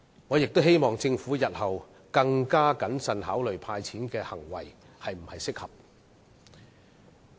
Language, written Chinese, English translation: Cantonese, 我希望政府日後可以更謹慎地考慮"派錢"的行為是否適合。, I hope the Government will be more cautious in considering whether the making of a cash handout is appropriate in future